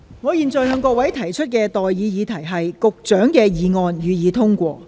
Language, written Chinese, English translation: Cantonese, 我現在向各位提出的待議議題是：保安局局長動議的議案，予以通過。, I now propose the question to you and that is That the motion moved by the Secretary for Security be passed